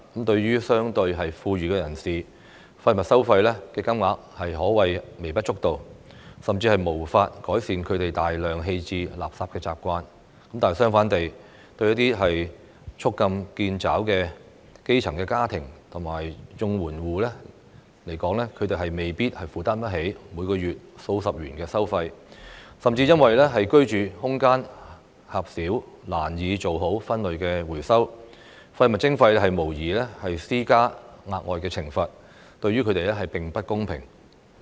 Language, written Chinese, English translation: Cantonese, 對於相對富裕的人士，廢物收費的金額可謂微不足道，甚至無法改善他們大量棄置垃圾的習慣，但相反地，對捉襟見肘的基層家庭和綜援戶來說，他們未必負擔得起每個月數十元的收費，甚至因為居住空間狹小難以做好分類回收，廢物徵費無異於施加額外懲罰，對他們並不公平。, To relatively well - off individuals the amount of waste charges is insignificant and cannot even change their habit of disposing of a quantity of waste . On the contrary grass - roots families and Comprehensive Social Security Assistance households struggling to make ends meet may not be able to afford a monthly charge of several dozen dollars and even find it difficult to separate waste properly for recycling due to their small living space . As such waste charging is no different from imposing additional penalties which is unfair to them